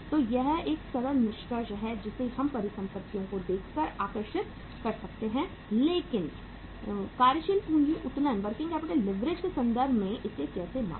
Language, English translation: Hindi, So this is a simple conclusion we can draw by looking at the assets but in terms of the working capital leverage how to measure it